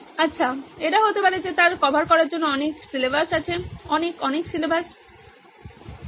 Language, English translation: Bengali, Well she has lot of syllabus to cover, lot of syllabus to cover